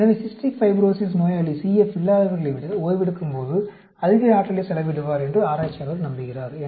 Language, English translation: Tamil, So, researcher believes that patient with Cystic Fibrosis expend greater energy during resting than those without CF